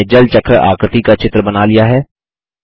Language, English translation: Hindi, We have completed drawing the Water Cycle diagram